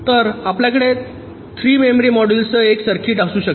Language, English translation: Marathi, so you can have a circuit with three memory modules